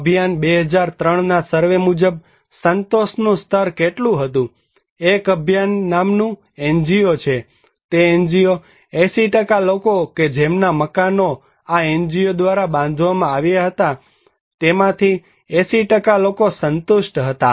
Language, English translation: Gujarati, What was the level of satisfaction according to the Abhiyan 2003 survey, an NGO called Abhiyan that NGO 80% people that those buildings were constructed by NGO 80% are satisfied and in case of owner driven, 91% were satisfied